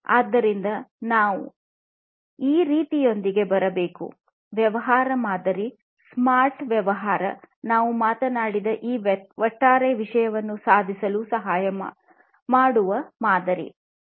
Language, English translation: Kannada, So, we need to come up with something like this; the business model, a smart business model that can help achieve this overall thing that we have talked about